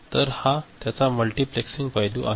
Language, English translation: Marathi, So, this is the multiplexing aspect of it